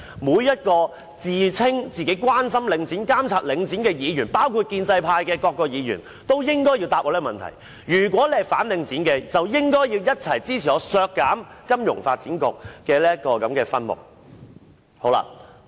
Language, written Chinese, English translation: Cantonese, 每一位自稱關心領展、監察領展的議員，包括建制派的各位議員也應該回答我這個問題，如果是反領展的，便應該一起支持我提出削減金發局的分目。, Those Members who claim themselves to be concerned about the Link problems and have an eye on the Link including Members from the pro - establishment camp should respond to my question . If they are against the Link they should support my amendment in respect of the subhead to cut the expenditure for FSDC